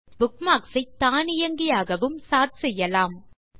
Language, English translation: Tamil, You can also sort bookmarks automatically